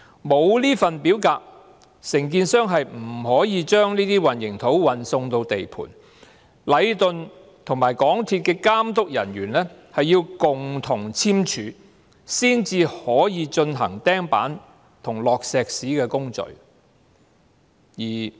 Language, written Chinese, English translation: Cantonese, 沒有這份表格，承建商不能把混凝土運送到地盤，而禮頓和港鐵公司的監督人員要共同簽署這份表格，才可以進行釘板和灌注混凝土的工序。, Without such forms contractors cannot ship concrete to a given site . And the procedures of erecting formwork and concrete pouring can proceed only with the joint signatures of the inspectors of Leighton and MTRCL on such forms